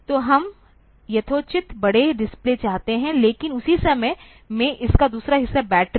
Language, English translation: Hindi, So, we want reasonably large display, but at the same time another part of it is the battery